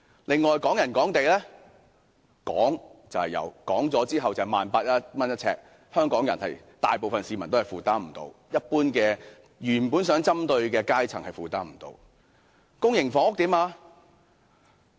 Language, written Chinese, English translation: Cantonese, 另外，港人港地，"講"是有的，但實際呎價近 18,000 元，是香港大部分市民都未能負擔的，更不是政策原先針對的階層所能負擔。, Furthermore for the policy on Hong Kong Property for Hong Kong People it has been reduced to lip service . Since the actual price per square feet is pitched at nearly 18,000 neither the majority public nor the class the policy originally targeted at can afford it